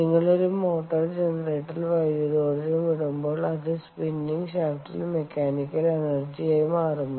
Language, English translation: Malayalam, when you put electrical energy into a motor generator, it turns into mechanical energy on the spinning shaft